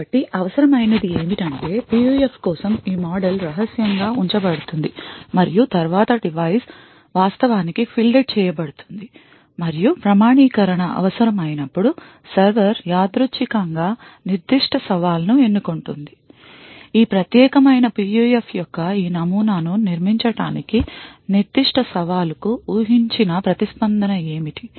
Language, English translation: Telugu, So what is required is that this model for the PUF is kept secret and then the device is actually fielded and when authentication is required, the server would randomly choose a particular challenge, it would use this model of this particular PUF to create what is the expected response for that particular challenge